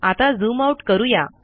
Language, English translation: Marathi, Then I can zoom out